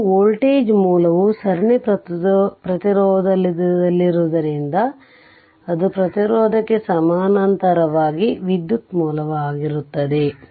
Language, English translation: Kannada, So, because it is voltage source is in series resistance, there it will be current source in parallel with the resistance